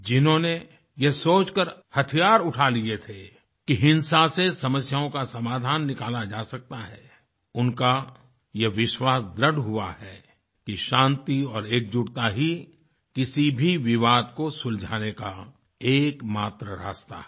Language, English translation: Hindi, Those who had picked up weapons thinking that violence could solve problems, now firmly believe that the only way to solve any dispute is peace and togetherness